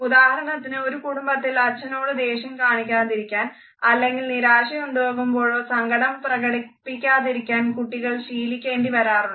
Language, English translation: Malayalam, For example, in a family a child may be taught never to look angrily at his father or never to show sadness when disappointed